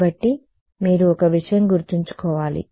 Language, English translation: Telugu, So you should remember one thing